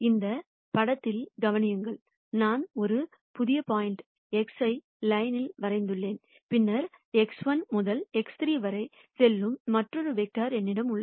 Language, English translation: Tamil, Notice in this picture I have defined a new point X prime on the line and then I have another vector which goes from X prime to X 3